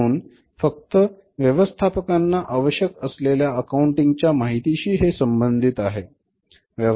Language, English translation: Marathi, So, it is concerned with accounting information that is useful to managers, not everything